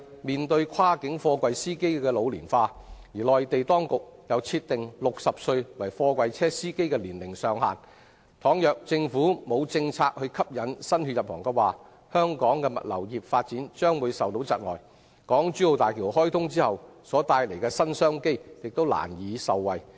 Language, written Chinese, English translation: Cantonese, 面對跨境貨櫃司機老齡化，加上內地當局設定60歲為貨櫃車司機的年齡上限，如政府沒有政策吸引新血入行的話，香港物流業的發展將會受窒礙，難以受惠於港珠澳大橋開通後帶來的新商機。, Given the ageing trend of cross - boundary container truck drivers and the upper age limit of 60 imposed by the Mainland authorities on truck drivers in the absence of any government policies to attract new blood into the industry the development of Hong Kongs logistics industry will be hindered rendering it difficult for the industry to benefit from the new business opportunities arising from the upcoming commissioning of HZMB